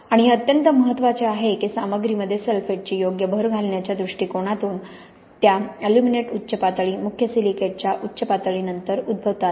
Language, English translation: Marathi, And it is very important that from the point of view of having a proper addition of sulphate in the material that those aluminate peaks occur after the main silicate peak